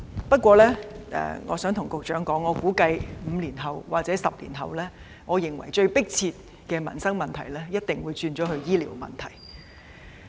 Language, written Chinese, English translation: Cantonese, 不過，我想告訴局長，我估計5年或10年後，最迫切要處理的民生問題一定會變成是醫療問題。, However I wish to tell the Secretary that according to my estimation the healthcare will definitely become the most pressing livelihood issue five or 10 years later